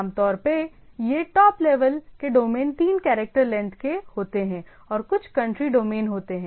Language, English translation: Hindi, Typically these top level domains are three character length and there are few country domains